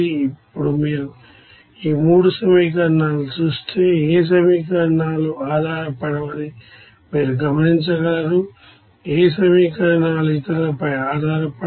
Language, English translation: Telugu, Now if you look at these 3 equations you will see that no equations are dependent, no equations is dependent on others